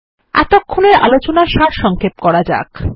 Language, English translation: Bengali, Let us summarize what we just said